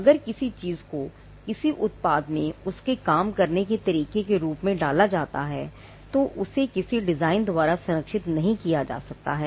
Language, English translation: Hindi, If something is put into the way in which a product works, then that cannot be protected by a design